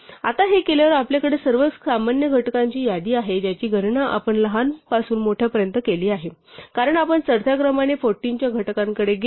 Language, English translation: Marathi, And now having done this we have a list of all the common factors we computed them from smallest to biggest, because we went to the factors of 14 in ascending order